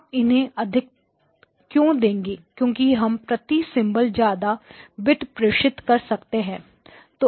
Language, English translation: Hindi, And why would you allocate more power because I can send more bits per symbol on those channels